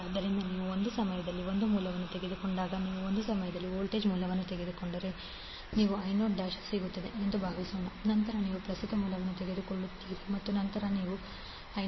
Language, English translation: Kannada, So when you take one source at a time suppose if you take the voltage source at one time you will get I naught dash, then you take current source only then you get I naught double dash